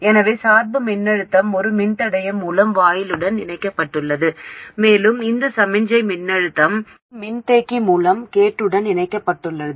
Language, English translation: Tamil, So the bias voltage is connected to the gate through a resistor and the signal voltage is connected to the gate through a capacitor